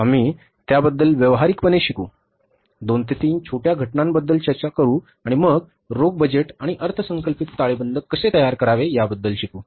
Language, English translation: Marathi, We will discuss two, three small cases and then we will learn about that how to prepare the cash budget and the budgeted balance sheet